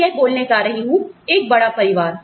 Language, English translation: Hindi, I am going to say that, one big family